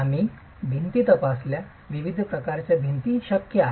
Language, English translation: Marathi, We examined walls, the different types of walls possible